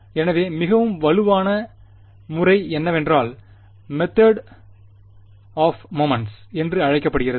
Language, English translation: Tamil, So, the more robust method is what is called the method of moments